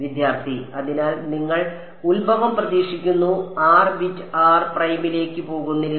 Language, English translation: Malayalam, So, you would expect to the origin r does not go for bit r prime